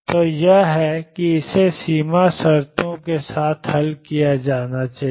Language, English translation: Hindi, So, this is and this is to be solved with boundary conditions